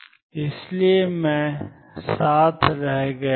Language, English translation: Hindi, That is why I am left with